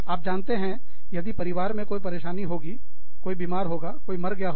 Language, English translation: Hindi, If there is a problem, in my family, you know, somebody sick